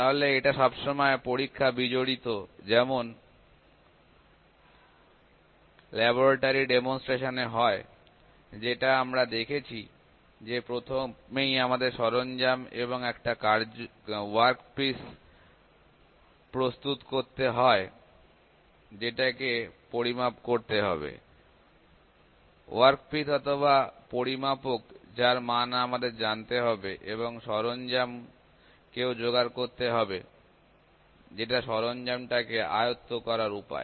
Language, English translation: Bengali, So, it is experimental estimation; so it is it always involve experimentation like in laboratory demonstrations that we saw that; we have to first prepare, we have to first tool and a work piece to work piece which is to be measured, the work piece or the measurand that that the value that we need to know and the tool also has to be pair that are ways to handle the tool